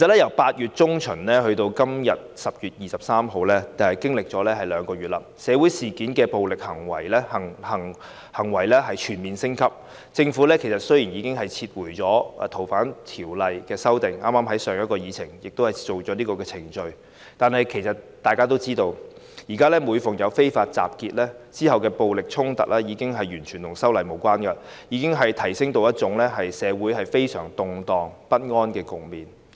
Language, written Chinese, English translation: Cantonese, 由8月中旬至今天10月23日，已經過了兩個月，其間社會事件中的暴力行為全面升級，雖然政府已經撤回《逃犯條例》的修訂，立法會剛剛已在上一項議程處理有關的程序，但其實大家都知道，現在每逢有非法集結，之後發生的暴力衝突，已經與修例完全無關，並已提升至令社會陷入非常動盪不安的局面。, From mid - August to today 23 October two months have passed and during this period the violent acts in the social incident have escalated on a full scale . Although the Government has already withdrawn the amendments to the Fugitive Offenders Ordinance and the Legislative Council has just dealt with the relevant procedures in the previous agenda item in fact everyone is aware that now whenever there is an unlawful assembly the violent clashes that occur afterwards have nothing to do with the legislative amendment exercise and the situation has escalated to a level that drags society into serious disturbances